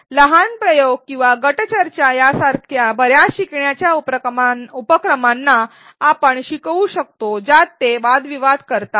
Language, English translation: Marathi, We can also have learners do a lot of learning activities such as mini experiments or group discussions wherein they debate around issues